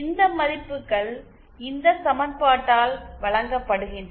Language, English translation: Tamil, These values are given by this equation